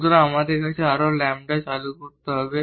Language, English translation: Bengali, So, we have to introduce more lambdas